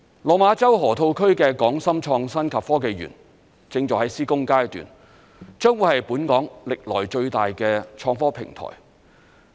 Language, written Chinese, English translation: Cantonese, 落馬洲河套區的港深創新及科技園正在施工階段，將會是本港歷來最大的創科平台。, HSITP at the Lok Ma Chau Loop is in its construction stage and it will be the biggest platform for innovative technology in Hong Kong